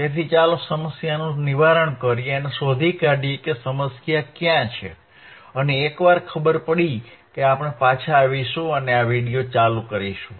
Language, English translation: Gujarati, So, let us troubleshoot the problem let us troubleshoot the problem and find out where is the problem lies and once we find out we will get back and continue this video